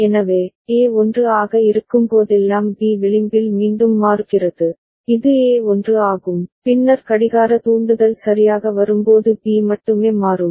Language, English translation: Tamil, So, B is changing again with the edge whenever A is 1, this is A is 1, then only B will change when the clock trigger comes ok